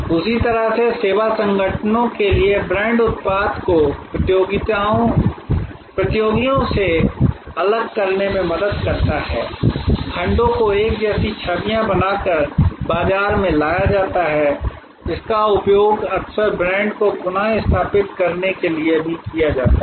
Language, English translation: Hindi, In the same way to the service organizations, brand helps to differentiate the product from competitors, segment market by creating tailored images, it is also often used for repositioning the brand